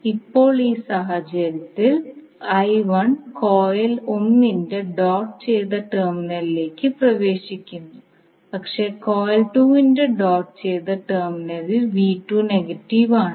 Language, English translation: Malayalam, Now in this case now I1 is entering the doted terminal of coil 1 but the V2 is negative at the doted terminal of coil 2